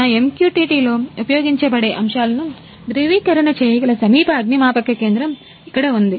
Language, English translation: Telugu, Here is a nearest fire station which can subscribe the topics through which are used in a my MQTT